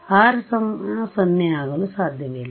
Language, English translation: Kannada, So, R equal to 0 not possible ok